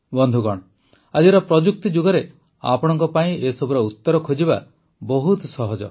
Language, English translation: Odia, Friends, in this era of technology, it is very easy for you to find answers to these